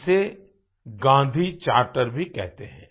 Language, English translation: Hindi, This is also known as the Gandhi Charter